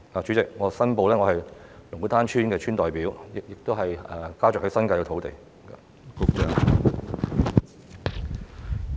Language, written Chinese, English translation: Cantonese, 主席，我申報，我是龍鼓灘村的村代表，家族亦在新界擁有土地。, President I declare that I am a representative of Lung Kwu Tan Village and my family owns properties in the New Territories